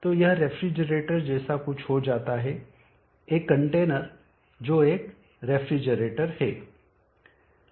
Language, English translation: Hindi, So that becomes something like the refrigerator, a container which is a refrigerator